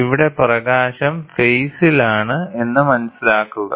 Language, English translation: Malayalam, Here please understand that the light are in phase